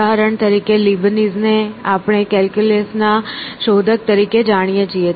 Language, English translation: Gujarati, For example, Leibniz we know as an inventor of the calculus